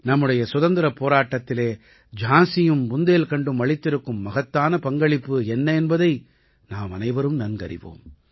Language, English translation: Tamil, All of us know of the huge contribution of Jhansi and Bundelkhand in our Fight for Freedom